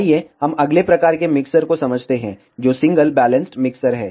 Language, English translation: Hindi, Let us understand the next type of the mixture, which is single balanced mixer